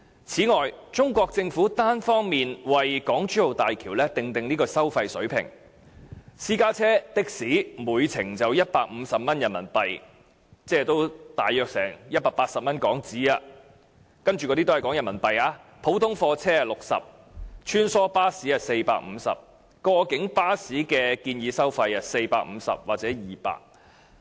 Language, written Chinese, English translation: Cantonese, 此外，中國政府單方面為港珠澳大橋訂定收費水平，分別是私家車和的士每程收費150元人民幣——我以下說的收費全部以人民幣計算——普通貨車60元、穿梭巴士450元，過境巴士則建議收費450元或200元。, And the Chinese Government has unilaterally set the toll levels of HZMB at RMB150 about HK180 for private cars and taxis―the toll fees I am going to cite here are all in RMB RMB60 for ordinary goods vehicles and RMB450 for shuttle buses and the proposed toll for cross - boundary coaches will be RMB450 or RMB200